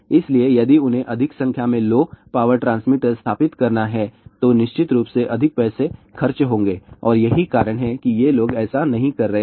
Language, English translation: Hindi, So, if they have to install more number of low power transmitter, it will definitely cost more money and that is the reason why these people are not doing it